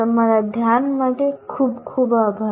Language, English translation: Gujarati, Thank you very much for your attention